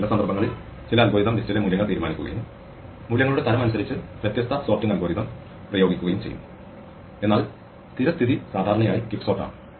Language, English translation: Malayalam, Although, in some cases some algorithm will decide on the values in the list and apply different sorting algorithm according to the type of values, but default usually is quciksort